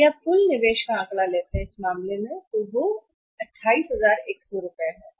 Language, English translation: Hindi, If you take the figure of the total investment total investment is going to be in this case is 28100 right